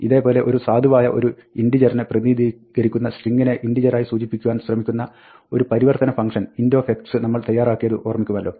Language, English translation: Malayalam, Recall that, we had defined this type conversion function int of s, which will take a string and try to represent it as an integer, if s is a valid representation of an integer